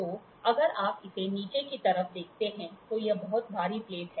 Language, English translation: Hindi, So, if you look at it, on the bottom side of this, this is a very heavy plate